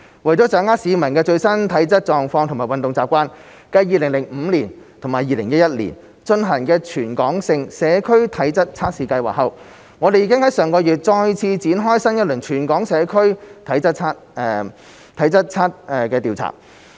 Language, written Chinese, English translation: Cantonese, 為了掌握市民的最新體質狀況及運動習慣，繼2005年及2011年進行全港性的社區體質測試計劃後，我們已於上個月再次展開新一輪"全港社區體質調查"。, In order to keep abreast of the publics latest physical conditions and exercise habits following the Territory - wide Physical Fitness Tests for the Community conducted in 2005 and 2011 we launched a new round of Territory - wide Physical Fitness Survey for the Community last month